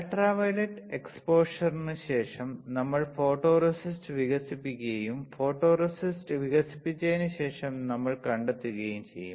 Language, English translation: Malayalam, So, after UV exposure, we will develop the photoresist and what we will find after developing the photoresist